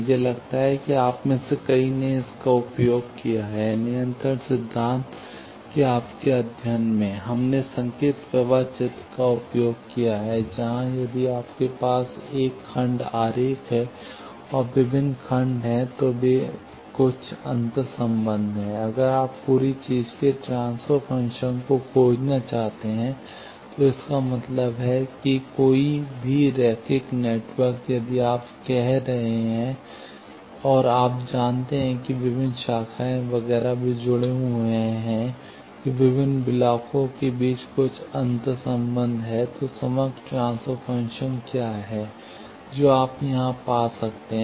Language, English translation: Hindi, It is I think, many of you have used these, in your study of control theory, we have used signal flow graph, where, if you have a block diagram, and various blocks, they are, they have some interrelationship; if you want to find the transfer function of the whole thing, that means any linear network, if you are having, and you know that, various branches, etcetera, they are connected that there is some interrelationship between various blocks then what is overall transfer function, that you can find here